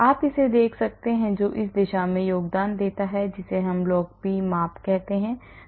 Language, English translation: Hindi, And you can see the ones which contribute towards this is called I can measure the log p